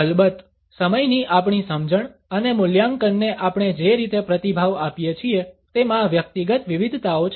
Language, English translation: Gujarati, There are of course, individual variations in the way we respond to our understanding of time and evaluate